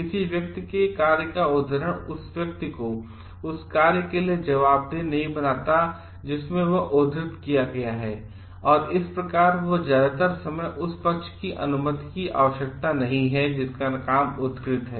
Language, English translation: Hindi, Citation of a person s work does not make the person cited accountable for the work in which he she is cited and thus, it most of the times does not requires permissions of parties whose work is cited